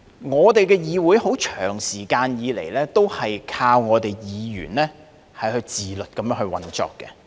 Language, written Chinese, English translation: Cantonese, 我們的議會長時間以來，都是靠議員自律地運作。, Over the years the operation of our legislature has been based on self - discipline on the part of Members